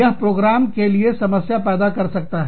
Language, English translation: Hindi, And, that can cause, a problem for the program